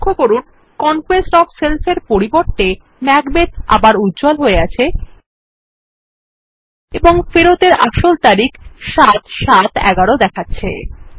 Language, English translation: Bengali, Notice that Macbeth is highlighted instead of Conquest of Self and the Actual return date is 7/7/11